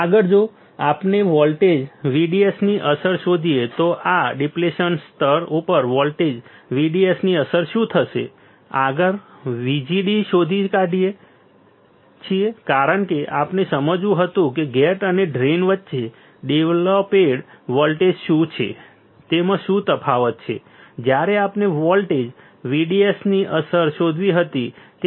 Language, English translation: Gujarati, What will happen the effect of voltage VDS on this depletion layer next find out VGD right because we had to understand what is the difference in the what is the voltage that is developed between gate and drain what when we had to find the effect of voltage VDS